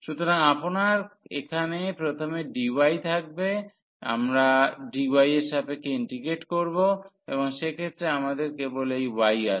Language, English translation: Bengali, So, you will have here dy first we will be integrating with respect to dy and in that case we have only this y there